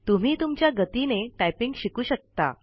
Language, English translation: Marathi, You can learn typing at your own pace